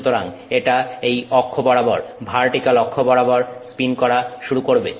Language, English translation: Bengali, So, it is going to spin about this axis, the vertical axis